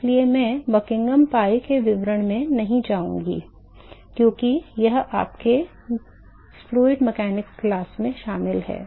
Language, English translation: Hindi, So, I would not go into the details of Buckingham pi because that is been covered in your fluid mechanics class